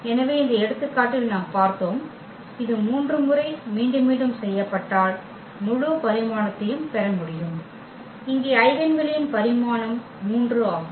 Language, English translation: Tamil, So, we have seen in this example that, if it is repeated 3 times it is also possible that we can get the full dimension, here the dimension of the eigenspace that is 3